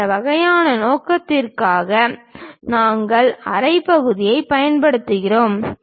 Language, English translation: Tamil, For that kind of purpose we use half section